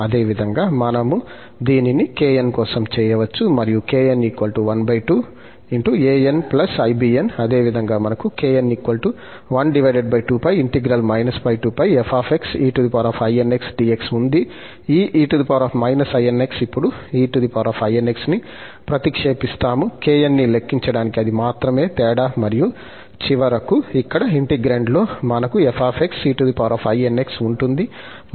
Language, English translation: Telugu, Similarly, we can do for kn, and kn is half an plus bn where half the similar to this term, we have 1 over 2 pi in that f x, this sign will be replaced by the plus sign now, that is the only difference and finally, we will have, in the integrand here, f x e power inx for this kn